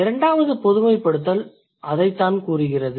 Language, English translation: Tamil, That's what the fourth generalization says